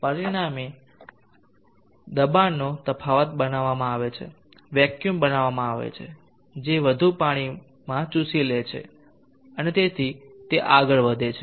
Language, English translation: Gujarati, And as a result a pressure difference is created vacuum is created which will suck in more water and so on it goes